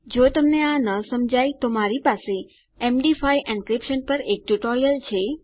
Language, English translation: Gujarati, If you dont understand this I have a tutorial on MD5 encryption